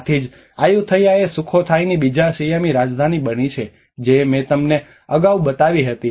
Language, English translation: Gujarati, So that is where the Ayutthaya has became the second Siamese capital of the Sukhothai, Sukhothai which I showed you earlier